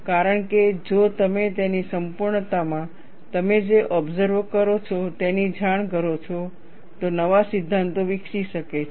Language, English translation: Gujarati, Because, if you report what you observe, in all its totality, new theories can develop